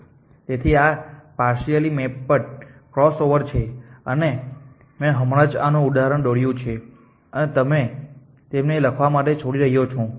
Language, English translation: Gujarati, So, this is the partially mapped cross over and I just illustrated to this example and these the algorithms for you to like